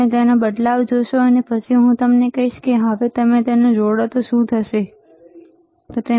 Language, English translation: Gujarati, You will see the change and I will then tell you, what is that you can you can connect it now, right